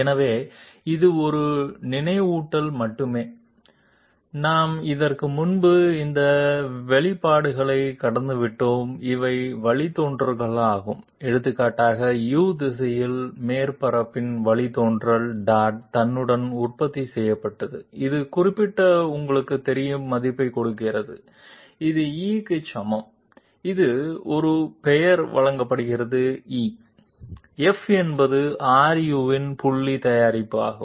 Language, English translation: Tamil, So this is just a reminder, we have gone through these expression before, these are the derivatives for example the derivative of the surface in the U direction dot producted with itself gives a particular you know value which is equated to E that is it is given a name E, F is the dot product of R u dot R v, G and the dot product of R w dot R w, et cetera, these things we have discussed last time